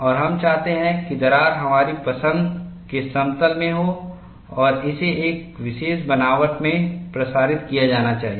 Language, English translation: Hindi, And we want the crack to be in a plane of our choice and it should propagate in a particular fashion